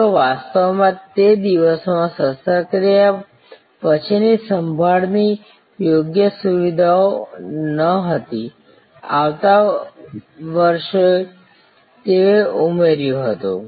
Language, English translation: Gujarati, They actually in those days did not have proper post operative care facilities, next year they added that